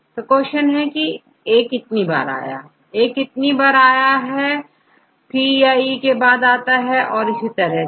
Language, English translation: Hindi, So, another question is how many times A comes next to A, how many times A comes next to C or E and so on